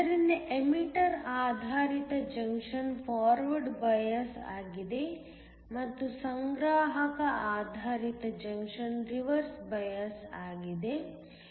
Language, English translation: Kannada, So, The emitter based junction is forward biased and the collector based junction is reverse biased, this is c